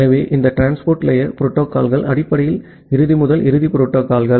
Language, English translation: Tamil, So, this transport layer protocols are basically the end to end protocols